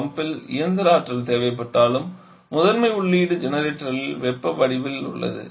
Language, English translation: Tamil, Though mechanical energy is required in the pump but primary input is in the form of heat in the generator